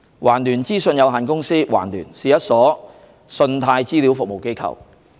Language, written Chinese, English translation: Cantonese, 環聯資訊有限公司是一所信貸資料服務機構。, TransUnion Limited TransUnion is an organization providing credit reference services